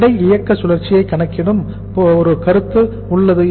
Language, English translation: Tamil, There is a concept of calculating weight operating cycle